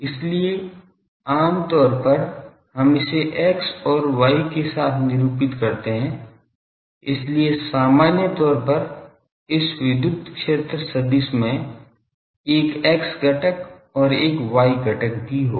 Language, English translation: Hindi, So, usually we represented it with X and Y; so, in general this electric field vector will be having an X component and also a Y component